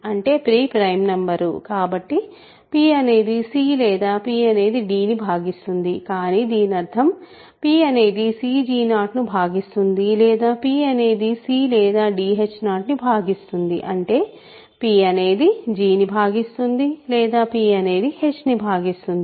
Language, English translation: Telugu, That means, p again prime number; so, p divides c or p divides d, but that means, p divides c g 0 or p divides c or d h 0 ; that means, p divides g or p divides, ok